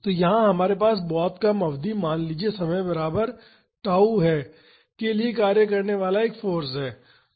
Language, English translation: Hindi, So, here we have a force acting for a very small duration say at time is equal to tau